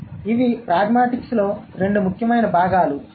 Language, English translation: Telugu, So, these are the two important components of pragmatics